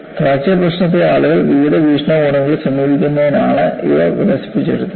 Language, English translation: Malayalam, These were developed, mainly because people approach the fracture problem from various perspectives